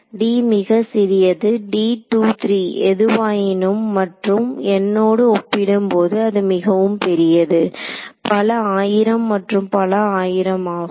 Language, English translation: Tamil, Typically, d is very small, d is 2 3 whatever and compared to n which is much large 1000’s and 1000’s